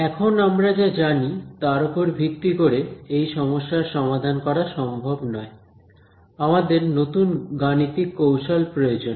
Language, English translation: Bengali, Now, turns out based on what we already know, we actually cant solve this problem; we need a new mathematical technique